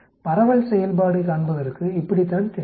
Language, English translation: Tamil, This is how the distribution function looks like